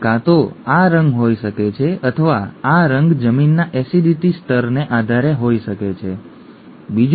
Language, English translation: Gujarati, It could either be this colour or this colour depending on the acidity level of the soil, okay